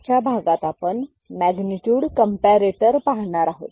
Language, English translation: Marathi, In today’s class, we shall look at Magnitude Comparator